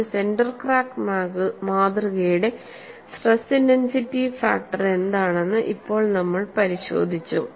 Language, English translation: Malayalam, Now, we have looked at what is the kind of stress intensity factor for a center cracked specimen